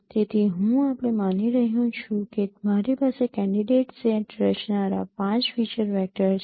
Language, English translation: Gujarati, So I am assuming that I have 5 feature vectors forming a candidate set